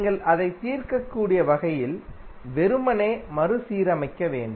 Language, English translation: Tamil, You have to just simply rearrange in such a way that you can solve it